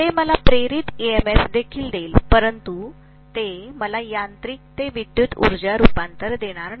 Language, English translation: Marathi, That will also give me induced EMF but that is not going to give me mechanical to electrical energy conversion, definitely not